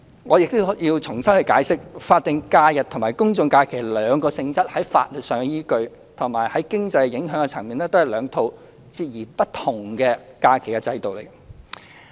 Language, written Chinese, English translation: Cantonese, 我亦要重新解釋，法定假日和公眾假期兩者的性質在法律依據上，以及經濟影響的層面上，都是兩套截然不同的假期制度。, I have to reiterate that statutory holidays and general holidays are two totally different holiday systems in terms of their nature legal bases and economic impacts